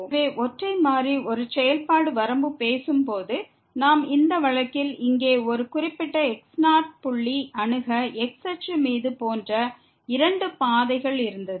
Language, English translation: Tamil, So, while talking the limit for a function of single variable, we had two paths to approach a particular point here on axis like in this case